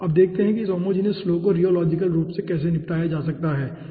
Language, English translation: Hindi, okay, now let us see how this homogeneous flow can be tackled rheologically